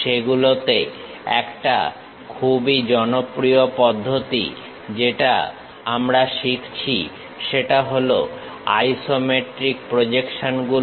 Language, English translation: Bengali, In that a very popular method what we are learning is isometric projections